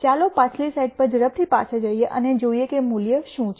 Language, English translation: Gujarati, Let us go back quickly to the previous slide and see what the value was